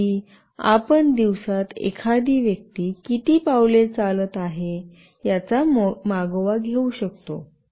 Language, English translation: Marathi, Like you can track the number of steps a person is walking in a day